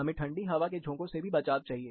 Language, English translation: Hindi, We need protection from cold drafts